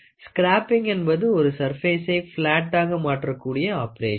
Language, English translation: Tamil, Scraping is an operation, where in which we try to make this surface flat